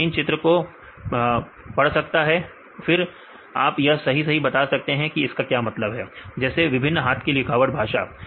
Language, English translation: Hindi, It can read these images and then you can correctly tell that this is what this mean right different handwriting languages